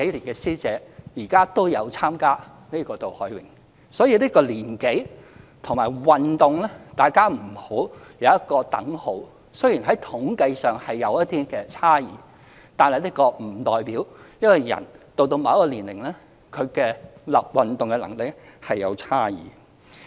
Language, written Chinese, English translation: Cantonese, 因此，大家不要將年紀與運動劃上等號，雖然在統計上顯示存在一些差異，但這並不代表一個人到某一年齡其運動能力便有差異。, Hence Members should not put an equal sign between age and sports . Though statistics indicate that there will be a certain degree of discrepancy it does not mean that a persons ability to do sports will change when a person reaches a certain age